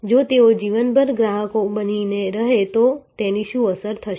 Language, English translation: Gujarati, What impact would it have if they remained customers for life